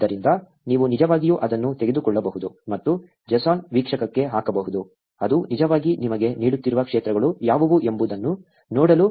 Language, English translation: Kannada, So, you can actually take it, and put it into the JSON viewer, to see what are the fields that it is actually giving you